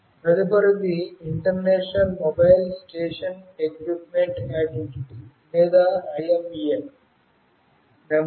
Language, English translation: Telugu, The next one is International Mobile station Equipment Identity, or IMEI number